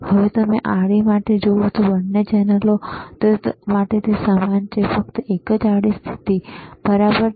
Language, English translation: Gujarati, Now, you see for horizontal, for both the channels it is same, only one horizontal position, right